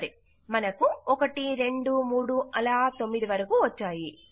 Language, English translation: Telugu, OK, weve got 1 2 3 all the way up to 9